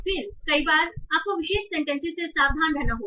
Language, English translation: Hindi, Then, so many times you have to be careful with the specific sentences